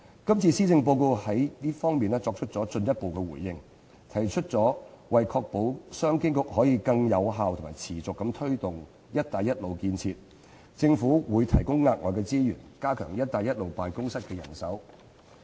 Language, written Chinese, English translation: Cantonese, 今次施政報告就這方面作出進一步回應，提出為確保商務及經濟發展局可以更有效和持續地推展"一帶一路"建設的工作，政府會提供額外資源，加強"一帶一路"辦公室的人手。, This Policy Address has made a further reply saying that to ensure that the Commerce and Economic Development Bureau will be able to take forward the work on the Belt and Road Initiative more effectively and on a sustained basis the Government will provide additional resources to reinforce the manpower for its Belt and Road Office